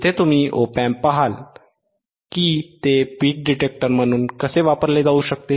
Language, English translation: Marathi, Here you will look at the op amp, how it can be use is a peak detector ok